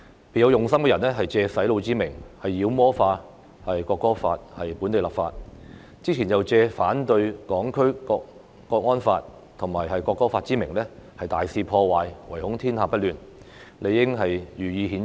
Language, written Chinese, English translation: Cantonese, 別有用心的人藉"洗腦"之名，妖魔化《國歌法》在本地立法，之前又藉反對港區國安法和《條例草案》之名大肆破壞，唯恐天下不亂，理應予以譴責。, Some people with ulterior motives demonize the local legislation of the National Anthem Law by calling it brainwashing . Previously they have also caused disruptions wantonly in opposing the national security law in Hong Kong and the Bill . These people should be reprimanded